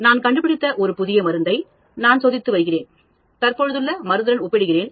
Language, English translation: Tamil, I am testing drug a new drug which I have discovered and I am comparing with the existing drug